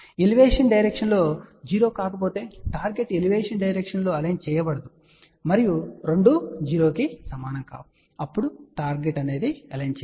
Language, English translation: Telugu, If Elevation difference is not 0 then the target is not aligned in Elevation direction andboth of them are not equal to 0 then the target is not aligned